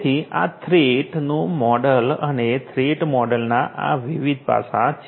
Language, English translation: Gujarati, So, this is this threat model and these different aspects of the threat model